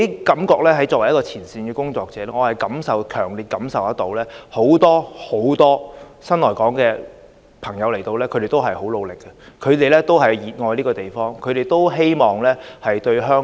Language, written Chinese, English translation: Cantonese, 作為前線工作者，我強烈感受到很多新來港人士皆十分努力，他們熱愛這地方，希望貢獻香港。, As a frontline worker I can strongly feel that many new arrivals are making untiring efforts to adapt to their life in Hong Kong for they love and earnestly hope to contribute to the city